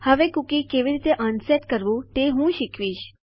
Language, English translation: Gujarati, Now Ill teach you how to unset a cookie